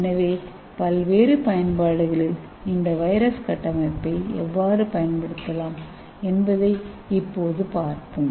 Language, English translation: Tamil, so let us see how we can use this virus structure for using it for various application